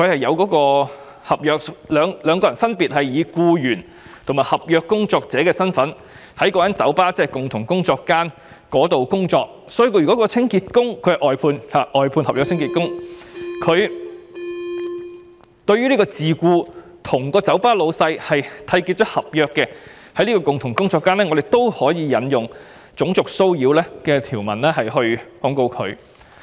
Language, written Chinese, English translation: Cantonese, 由於兩人分別以"僱員"和"合約工作者"的身份在該酒吧——即共同工作間——工作，所以該名外判清潔工人對這名已跟酒吧東主締結合約的自僱樂師作出騷擾，由於是在共同工作間，故可以援引種族騷擾的條文控告他。, Since these two persons were working in the bar as employees and contract workers so under the concept of common workplace prosecution can be instituted against the cleaner employed by an outsourced service contractor for racial harassment of the self - employed musician who has entered into a contract with the bar owner